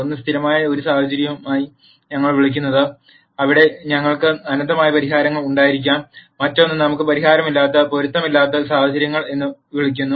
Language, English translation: Malayalam, One is what we call as a consistent scenario, where we could have in nite solutions, and the other one is what is called the inconsistent scenario where we might have no solution